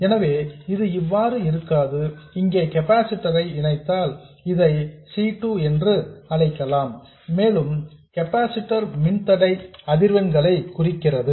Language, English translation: Tamil, So, this will go away if I connect a capacitor here and also let me call this C2 and also the impedance of the capacitor drops with frequency